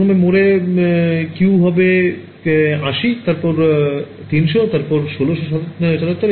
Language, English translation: Bengali, So, for example, the first mode have the Q of 80 then 300 and then 1677